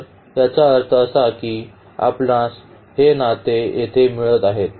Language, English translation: Marathi, So, that means, we are getting this relation here